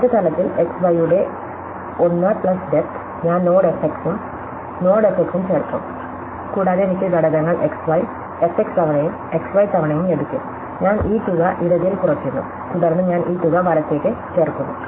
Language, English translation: Malayalam, And then at a next level which is 1 plus the depth of the xy, I will add the node f x and I add the node f x and I will get the components x y, f x times that plus x y times, I am subtracting this amount in the left, then I am adding this amount to the right